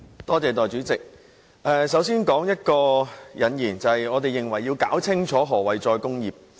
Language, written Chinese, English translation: Cantonese, 代理主席，我先點出引言，就是要弄清楚何謂"再工業化"。, Deputy President I would like to highlight one point at the outset that is clarifying the definition of re - industrialization